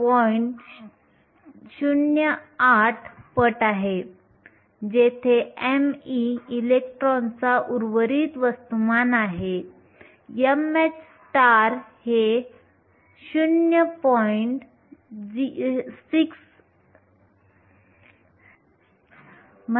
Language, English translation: Marathi, 08 times m e, where m e is the rest mass of the electron, m h star is 0